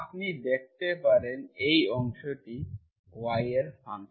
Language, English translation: Bengali, You can see this part, this is function of y